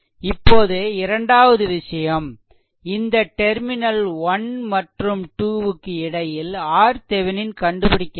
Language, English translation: Tamil, Now, second thing is now we have to get the R Thevenin also here, your in between terminal 1 and 2, what is the R thevenin